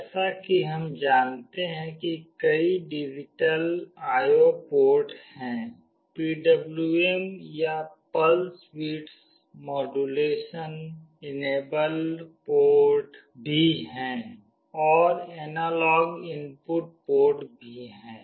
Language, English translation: Hindi, As we know there are several digital IO ports, there are also PWM or Pulse Width Modulation enabled ports, and there are analog input ports